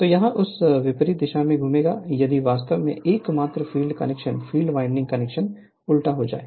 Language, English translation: Hindi, So here, it will rotate in the opposite direction, if you reverse the your only field correction right field winding correction